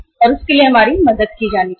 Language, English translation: Hindi, And we should be helped for that